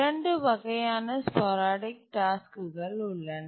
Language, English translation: Tamil, So, there are two types of sporadic tasks